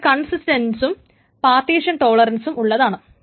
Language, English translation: Malayalam, let us say, consistent and partition tolerance